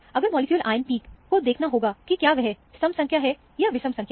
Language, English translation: Hindi, If the molecular ion peak is seen, see whether it is an even number, or odd number